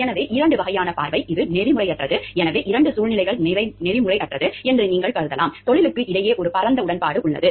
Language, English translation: Tamil, So, two types of, because it is ones view like it is unethical, so two situations could be what you view to be unethical is, there is a wide agreement amongst the profession